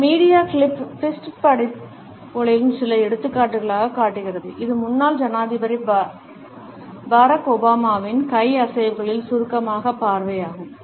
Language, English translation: Tamil, This media clip shows certain examples of fist bumps and it is a brief view of the hand movements of former President Barack Obama